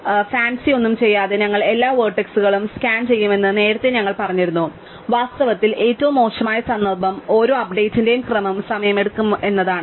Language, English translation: Malayalam, So, earlier we have said that without doing anything fancy, we will scan all the vertices and worst case in fact is every case of update will take as order n time